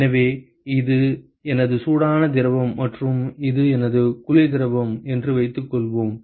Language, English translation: Tamil, So, supposing if this is my hot fluid and this is my cold fluid